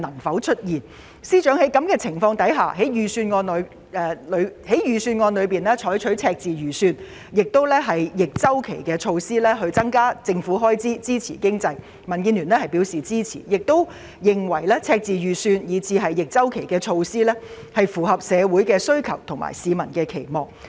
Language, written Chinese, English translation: Cantonese, 在此情況下，司長在預算案中提出赤字預算，以及採取逆周期措施增加政府開支支持經濟，民建聯表示支持，並認為赤字預算以至逆周期措施符合社會需求和市民期望。, In view of this the Democratic Alliance for the Betterment and Progress of Hong Kong DAB supports FS in adopting a deficit budget and counter - cyclical measures to increase government spending and boost the economy . We consider that the deficit budget and counter - cyclical measures dovetail with societys needs and public expectations